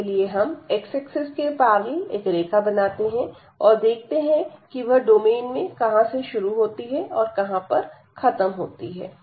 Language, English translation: Hindi, So, we need to draw a line here in the direction of this a parallel to x, and we was see there where it enters the domain and where it exit the domain